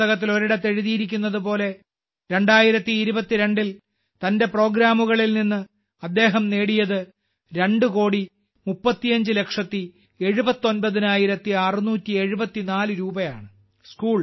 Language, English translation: Malayalam, As it is written at one place in the book, in 2022, he earned two crore thirty five lakh eighty nine thousand six hundred seventy four rupees from his programs